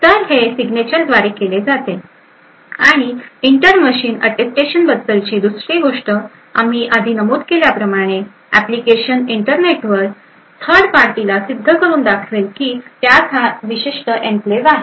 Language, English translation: Marathi, So, this is done by the signatures and the second thing about the inter machine Attestation whereas we mention before the application could actually prove to a third party over the internet that it has a specific enclave